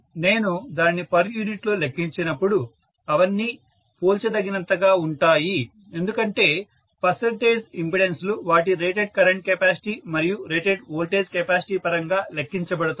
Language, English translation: Telugu, When I calculate it in per unit, all of them may be comparable because percentage impedances are calculated in terms of their rated current carrying capacity and their rated voltage capacity